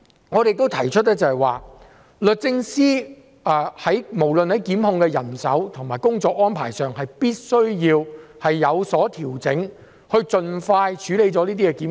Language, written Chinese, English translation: Cantonese, 我們亦提出律政司在檢控人手和工作安排上也必須有所調整，以盡快處理這些檢控。, Hence we believe that the Department of Justice should make adjustments to its prosecution manpower and work arrangements in order to handle these prosecutions expeditiously